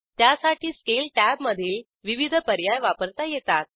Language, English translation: Marathi, For this you can use the various options in the Scale tab